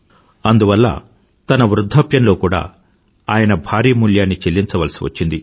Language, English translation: Telugu, For this, he had to pay a heavy price in his old age